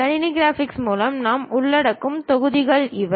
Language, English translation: Tamil, These are the modules what we will cover in computer graphics